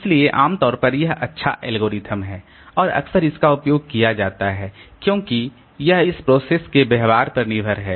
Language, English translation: Hindi, So, generally it is a good algorithm and frequently used because it is relying on this process behavior